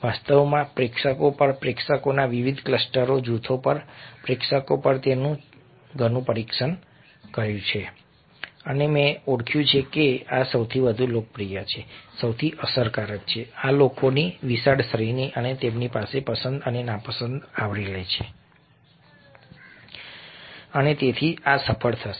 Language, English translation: Gujarati, actually, i have tested it lot on audiences, groups of different clusters of audiences, on audience, and i have identified that these are the most popular, these are the most effective, these cover the wide range of people and their likes and dislikes and hence these will be successful